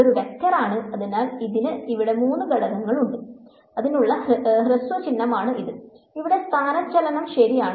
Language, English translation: Malayalam, So, it is a vector and so, it has three components over here and this is the shorthand notation for it this over here is the displacement right